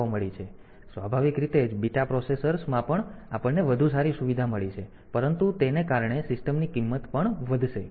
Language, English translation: Gujarati, So, naturally the beta processors we have got better flexibly facilities, but the cost of the system will also go up